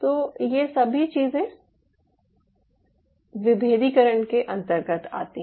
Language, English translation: Hindi, ok, so these all things falls under your differentiation